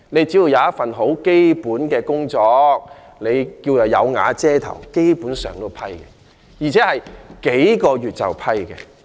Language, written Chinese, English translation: Cantonese, 只要有一份基本工作、"有瓦遮頭"，基本上也獲批准，而且只需經過數個月便獲批准。, If the applicant has a simple job and a place to stay the application will basically be granted in a few months time